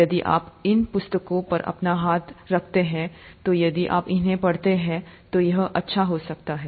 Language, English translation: Hindi, If you get your hands on these books, it might be good if you read them